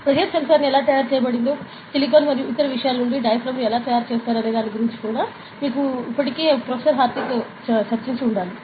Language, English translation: Telugu, Professor Hardik must have already discussed with you, regarding how a pressure sensor is fabricated, how a diaphragm is fabricated out of silicon and other things